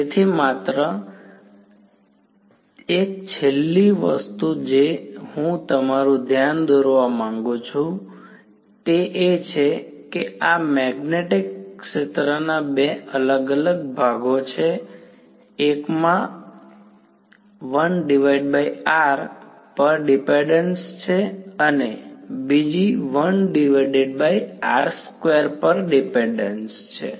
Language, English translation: Gujarati, So, just; so, one last thing I’d like to draw your attention to is that there are two different parts of this magnetic field, one has a 1 by r dependence and the other has a 1 by r square difference